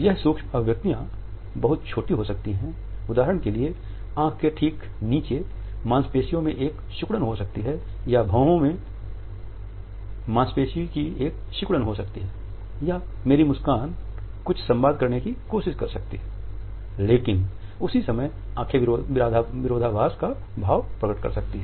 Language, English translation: Hindi, These, micro expressions may be very tiny for example, there may be a twitch in a muscle just below the eye or there may be a twitch of a muscle over here or my smile may try to communicate something, but the eyes contradict that emotion